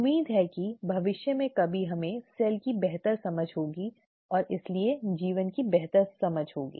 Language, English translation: Hindi, Hopefully sometime in the future we will have a better understanding of the cell and therefore a better understanding of life itself